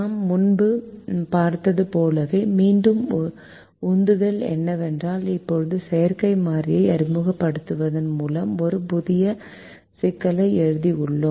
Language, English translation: Tamil, the motivation, again, as we saw earlier, is that now we have written in a new problem by introducing the artificial variable